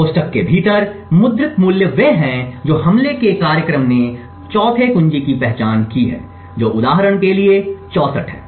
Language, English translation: Hindi, The values printed within the brackets are what the attack program has identified the 4th key which is 64 for instance